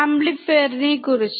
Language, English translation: Malayalam, What about amplifier